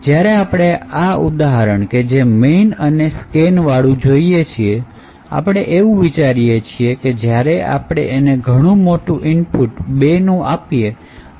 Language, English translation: Gujarati, Now when we consider this particular example of the main and scan and we consider that when use scan f we have given a very large input of all 2’s